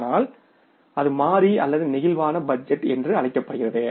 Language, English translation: Tamil, So that is called as a flexible budgeting system